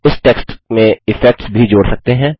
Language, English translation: Hindi, You can even add effects to this text